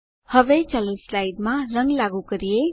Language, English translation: Gujarati, Now, lets apply a color to the slide